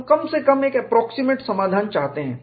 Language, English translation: Hindi, We want, at least, an approximate solution